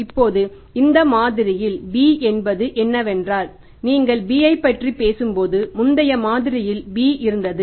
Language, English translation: Tamil, Now in this model what is B, B is same that is the when you talk about the B but was the B in the previous model